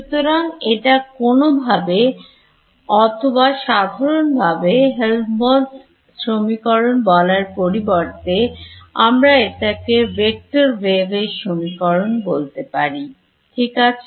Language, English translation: Bengali, So, more generally we will instead of calling it Helmholtz equation we just call it a vector wave equation right